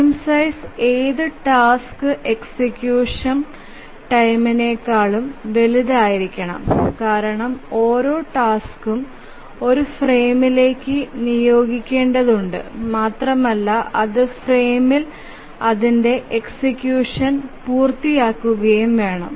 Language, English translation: Malayalam, The first thing is that the frame size must be larger than any task execution time because each task must be assigned to one frame and it must complete its execution in the frame